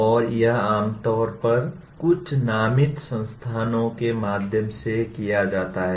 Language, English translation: Hindi, And this is normally done through some designated institutions